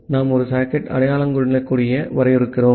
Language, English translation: Tamil, Then we are defining a socket identifier